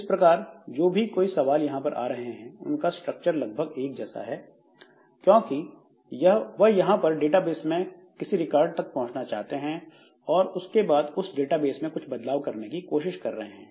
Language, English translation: Hindi, Now, all these queries that are coming, so all these queries they are again of similar structure in the sense that what they do is that they are trying to access some records in the database and then trying to do some modification to the database and all